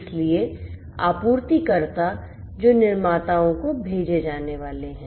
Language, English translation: Hindi, So, suppliers which are going to be sent to the manufacturers